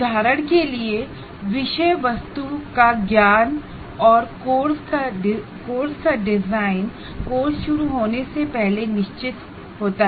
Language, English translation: Hindi, For example, the knowledge of subject matter and design of the course are prior to the starting of the course